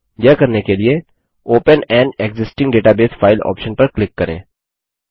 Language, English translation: Hindi, To do so, let us click on the open an existing database file option